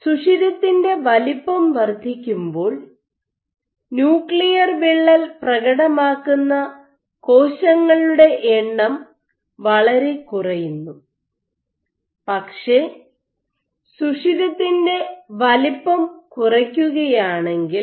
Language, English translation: Malayalam, So, increase in pore size there is negligible number of cells with exhibit this nuclear rupture, but if you reduce the pore size